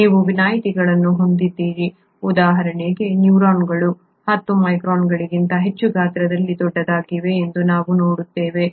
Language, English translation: Kannada, You have exceptions, for example neurons that we would see are much bigger in size than 10 microns